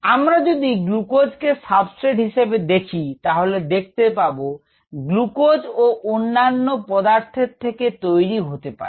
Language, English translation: Bengali, we looked at a substrate glucose, way to get glucose from other things and so on